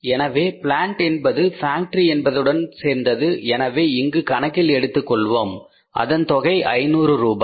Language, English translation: Tamil, So plant belongs to the factory so we will take this into account that is 500 rupees